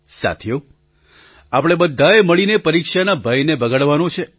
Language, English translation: Gujarati, Friends, we have to banish the fear of examinations collectively